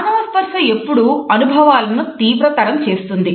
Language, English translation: Telugu, Human touch always intensifies experiences